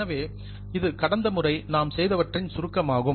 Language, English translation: Tamil, So, this was a brief of what we did last time